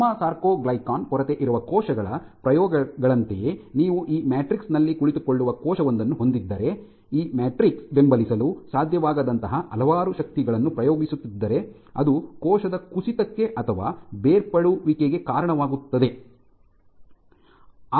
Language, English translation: Kannada, Similar to the experiments for gamma sarcoglycan deficient cells you can very well imagine, if I have a cell sitting on this matrix which is exerting lot of forces which this matrix is unable to support, then that will lead to collapse of the cell or detachment of the cell